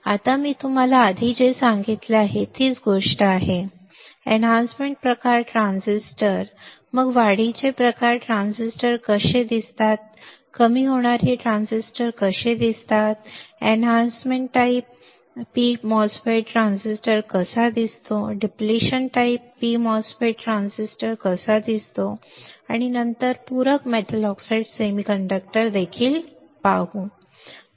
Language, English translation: Marathi, Now, whatever I have told you earlier is same thing, enhancement type transistors then see how the enhancement type transistors looks like, how the depletion type transistors look like, how the enhancement type p mos transistor looks like, how the depletion type p mos transistor looks like and then we will also see the complementary metal oxide semiconductor